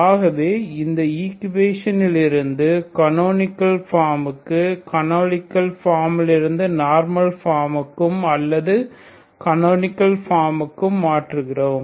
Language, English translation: Tamil, So this is the equation into canonical form into normal form or a canonical form